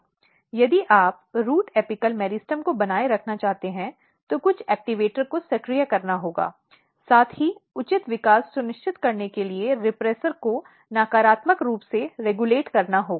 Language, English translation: Hindi, So, if you want to maintain root apical meristem, then some activator has to be activated, at the same time the repressor has to be negatively regulated to ensure proper development